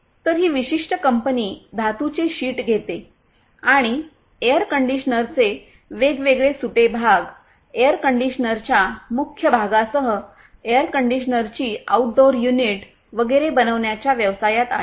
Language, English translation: Marathi, So, this particular company is into the business of taking sheet metals and making different spare parts for air conditioners including the body of the air conditioners, the outdoor unit of the air conditioners and so on